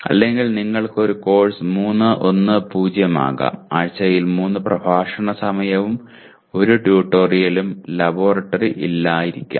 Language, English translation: Malayalam, Or you may have a course 3:1:0, 3 lecture hours per week, and 1 tutorial, and no laboratory